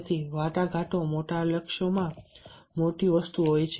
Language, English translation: Gujarati, so to negotiate the bigger things, to achieve the bigger goals